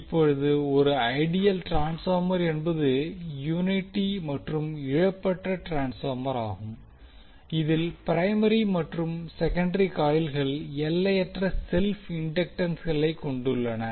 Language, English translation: Tamil, Now an ideal transformer is unity coupled lossless transformer in which primary and secondary coils have infinite self inductances